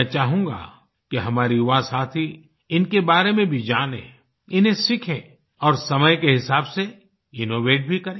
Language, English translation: Hindi, I would like our young friends to know more about them learn them and over the course of time bring about innovations in the same